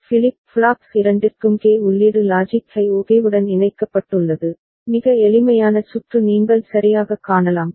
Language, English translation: Tamil, And K input for both the flip flops are connected to logic high ok, very simple circuit the you can see all right